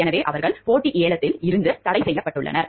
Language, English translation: Tamil, So, they are restricted from competitive bidding